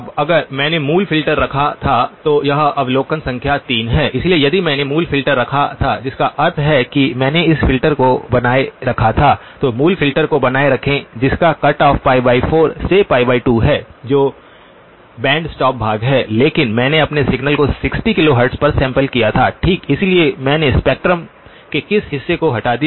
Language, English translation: Hindi, Now if I had kept the original filter, this is observation number 3, so if I had kept the original filter that means I had retained this filter, so keep the original filter which is cutoff from pi divided by 4 to pi divided by 2 that is the band stop portion but I had sampled my signal at 60 kilohertz okay, so which portion of the spectrum did I remove